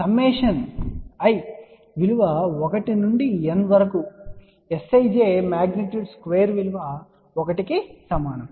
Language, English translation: Telugu, Summation of i equal to 1 to n S ij magnitude square is equal to 1